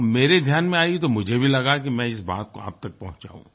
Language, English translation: Hindi, And when it came to my notice, I wanted to share this story with you